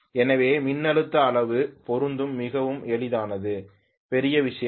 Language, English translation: Tamil, So voltage magnitude matching is very very simple, not a big deal at all